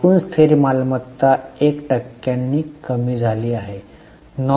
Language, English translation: Marathi, Total fixed assets have marginally fallen by 1%